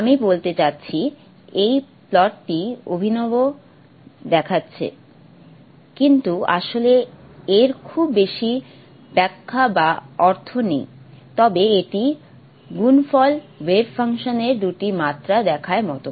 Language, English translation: Bengali, I mean this plot looks fancy but actually doesn't have much interpretation or meaning but it's worth seeing the product wave function in two dimensions